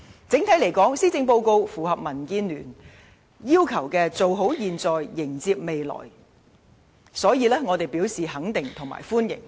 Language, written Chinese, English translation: Cantonese, 整體而言，施政報告符合民建聯"做好現在、迎接未來"的要求，我們表示肯定和歡迎。, Generally speaking we appreciate and welcome the Policy Address as it can meet DABs demand for improving the present situation to in preparation for embracing the future